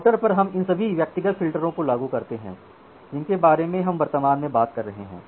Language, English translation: Hindi, So, inside the router so, we implement all these individual filters that we are currently talking about